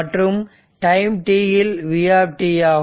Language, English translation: Tamil, Now, at t is equal to 0